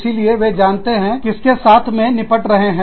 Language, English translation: Hindi, So, they know, what they are dealing with